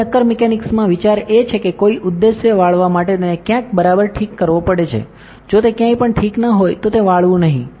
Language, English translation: Gujarati, Now in solid mechanics the idea is that, for an objective bend somewhere it has to be fixed somewhere right, if it is not fixed anywhere it cannot bend